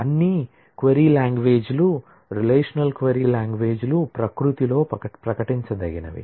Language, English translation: Telugu, All query languages, relational query languages are declarative in nature